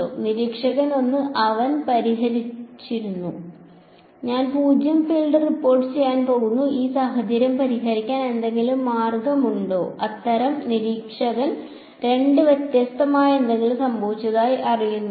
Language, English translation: Malayalam, Observer 1 has he is fixed I am going to report zero field is there any way to fix this situations such observer 2 does not know that anything different happened